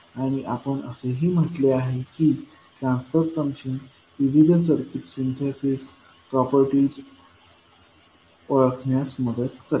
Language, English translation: Marathi, And we also said that the transfer function will help in identifying the various circuit syntheses, properties